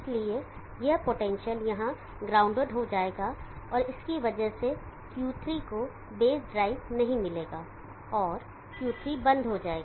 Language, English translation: Hindi, So this potential here will be grounded and because of that Q3 will not get base drive and Q3 will be off